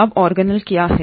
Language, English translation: Hindi, Now, what are organelles